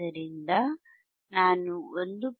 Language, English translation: Kannada, If I go to 1